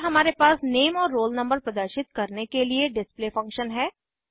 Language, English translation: Hindi, Then we have the display function to display the roll no and name